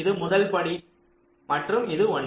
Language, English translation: Tamil, ok, this is the first step